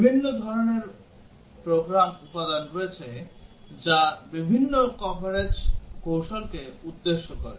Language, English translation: Bengali, There are different types of program elements that different coverage strategies target